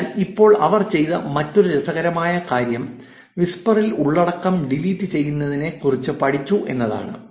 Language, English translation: Malayalam, So, now another interesting thing that they did is to study what content was getting deleted on whisper